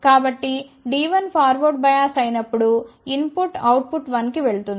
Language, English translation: Telugu, So, when D 1 is forward bias input will go to output one